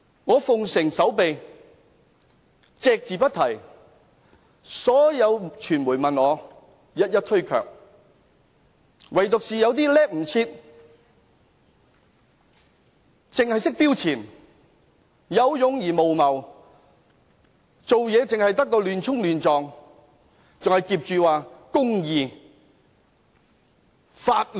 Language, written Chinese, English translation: Cantonese, 我遵從守秘規則，隻字不提，所有傳媒問我，我一一推卻，唯獨是有些人"叻唔切"，只識"標前"、有勇而無謀、做事亂衝亂撞，還挾着公義、法律。, I have complied with the rules of confidentiality and have not said a word . When I was asked by the media I declined to answer . But some people were too eager to show off; they acted foolhardily and recklessly in the name of justice and law